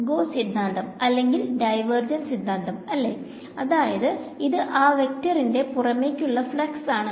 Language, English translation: Malayalam, Gauss’s theorem or divergence theorem, it will become the outward flux of that vector